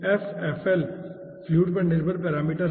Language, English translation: Hindi, f, fl is the fluid dependent parameter